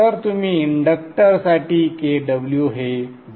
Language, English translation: Marathi, So you can take KW as 0